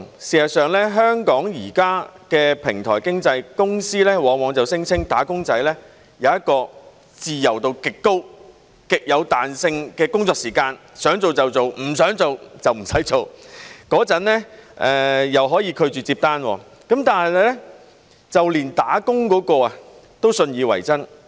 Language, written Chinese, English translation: Cantonese, 事實上，香港現時的平台經濟公司往往聲稱"打工仔"有一個自由度極高、極有彈性的工作時間，想做就做，不想做就不用做，又可以拒絕接單，就連"打工"那位都信以為真。, Actually existing companies under the platform economy in Hong Kong often claim that wage earners can enjoy a high degree of freedom and flexible working hours saying that they may start or end their working hours anytime they wish and reject orders . Even existing platform workers also believe this is true